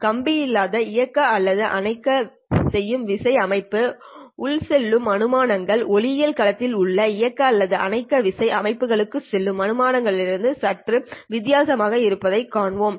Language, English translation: Tamil, We will see that the kind of assumptions that go into a wireless on off keying system are slightly different from the assumptions that go into the on off keying systems in optical domain